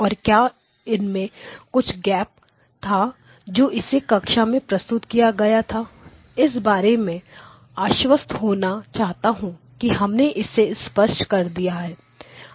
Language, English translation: Hindi, And whether there was some gap in what was presented in the class I just want to make sure that we clarify that